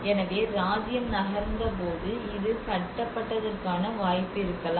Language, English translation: Tamil, So there might be possibility that when the kingdom has moved